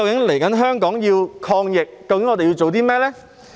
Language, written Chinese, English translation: Cantonese, 現在香港要抗疫，究竟我們要做甚麼呢？, It is now time for Hong Kong to fight against the epidemic what should we do indeed?